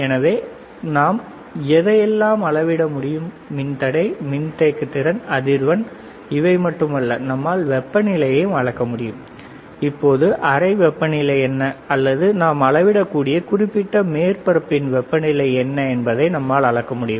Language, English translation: Tamil, So, what we can measure, we cannot only measure the resistance, we cannot only measure the capacitance, we cannot only measure the frequency we can also measure the temperature; that means, what is the room temperature right now, or what is the temperature of particular surface that we can measure